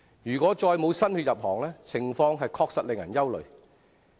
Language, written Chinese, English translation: Cantonese, 如果再沒有新血入行，情況確實令人憂慮。, The situation is indeed worrying if no new blood comes into the industry